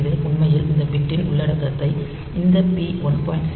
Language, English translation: Tamil, So, it actually continually copies the content of this bit onto this p 1